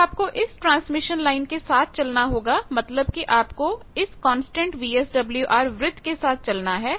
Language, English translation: Hindi, Now, you will have to move along the transmission line; that means, move along the constant VSWR circle